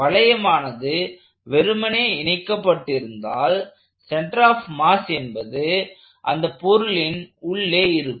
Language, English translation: Tamil, So, as long as the body is simply connected, the center of mass lies inside the body